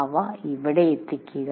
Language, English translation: Malayalam, So you bring them here